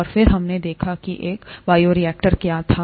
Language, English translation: Hindi, And then, we looked at what a bioreactor was